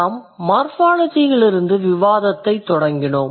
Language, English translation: Tamil, So, we have started the discussion with morphology